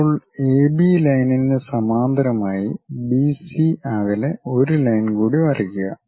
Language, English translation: Malayalam, Now, parallel to AB line draw one more line at a distance of BC